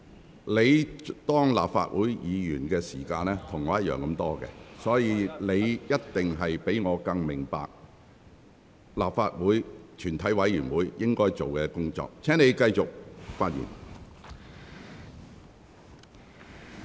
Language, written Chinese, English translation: Cantonese, 胡志偉議員，你擔任立法會議員的年資與我相同，所以你一定比我更明白立法會全體委員會應該做的工作。, Mr WU Chi - wai we have the same seniority in the Legislative Council . You should know better than I do about the work of a committee of the whole Council